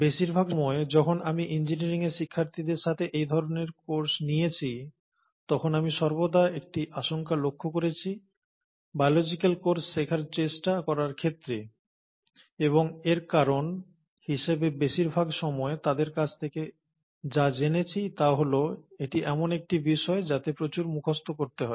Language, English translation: Bengali, Now, most of the times when I have taken these kind of courses with engineering students, I have always noticed an apprehension in terms of trying to learn a biological course, and the reasons that I have gotten more often from them is that it's a subject which requires a lot of memorizing